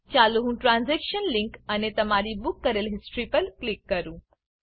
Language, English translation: Gujarati, Let me click the transaction link and you have booked history